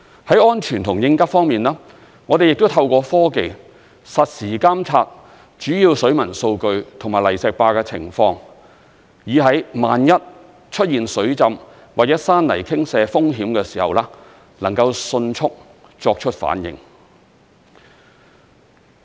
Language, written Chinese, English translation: Cantonese, 在安全和應急方面，我們亦透過科技，實時監察主要水文數據及泥石壩的情況，以在萬一出現水浸或者山泥傾瀉風險的時候，能夠迅速作出反應。, Speaking of safety and emergency response services we have also adopted technologies for the real - time monitoring of major hydrological data and debris - resistant barriers so that we can give a quick response in the event of flood and landslide risks